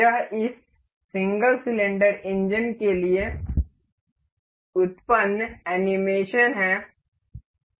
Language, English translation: Hindi, This is the animation generated for this single cylinder engine